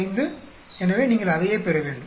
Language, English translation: Tamil, 825 so you should get the same thing